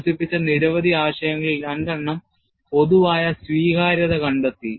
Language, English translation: Malayalam, Of the many concepts developed, two have found general acceptance